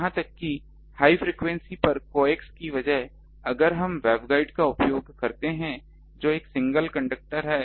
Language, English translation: Hindi, Even at higher frequencies if we have instead of coax if we use web guide that is a single conductor